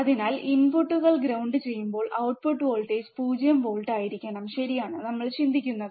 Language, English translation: Malayalam, So, output voltage would be 0 volt when inputs are grounded, right is what we think